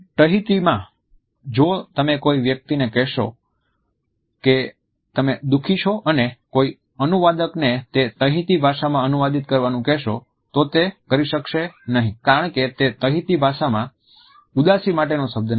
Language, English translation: Gujarati, In Tahiti, if you are trying to tell a Tahitian that you are sad and ask a translator to translate that into Tahitian, they will not be able to do so, as there is no word for sadness in the Tahitian language